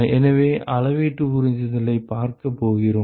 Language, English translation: Tamil, So, we are going to see volumetric absorption